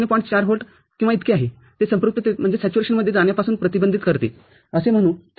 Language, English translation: Marathi, 4 volt or so, which prevents it getting into saturation, so as to say, ok